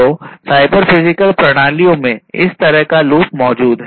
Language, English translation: Hindi, So, this kind of loop is going to exist in cyber physical systems